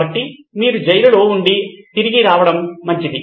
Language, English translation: Telugu, So, you better off back in the prison